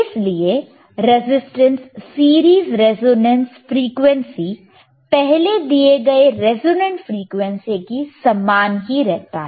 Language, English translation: Hindi, tTherefore, the resistance series resonantce frequency is same as the resonant frequency which iwas given ea earrlier right